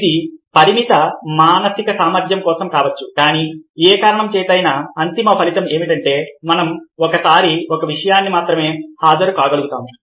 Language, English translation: Telugu, it could be for limited mental capacity, but for whatever reason, the end result is that we are able to attend only one thing at a time